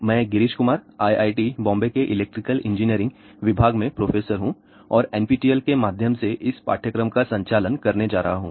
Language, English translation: Hindi, I am Girish Kumar, professor at IIT, Bombay in the Electrical Engineering Department and I am going to conduct this ah course through NPTEL, the title of the course is Microwave Theory and Techniques